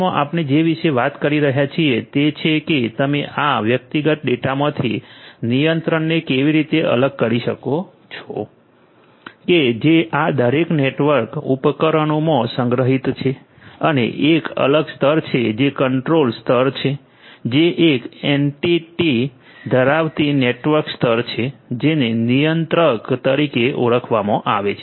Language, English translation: Gujarati, In SDN what we are talking about is how you can separate out the control from this individual data that are stored in each of these different different network equipments and have a separate layer which is the control layer having an entity a network entity which is termed as the controller